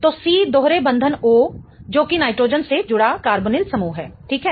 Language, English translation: Hindi, So, C double bond O, which is the carbonyl group attached to a nitrogen directly